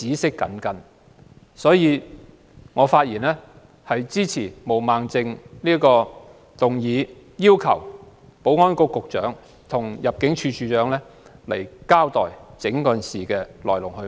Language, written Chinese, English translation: Cantonese, 所以，我發言支持毛孟靜議員的議案，要求保安局局長和入境事務處處長到立法會交代整件事的來龍去脈。, Hence I speak in support of Ms Claudia MOs motion to summon the Secretary for Security and the Director of Immigration to attend before the Council to explain the ins and outs of the whole incident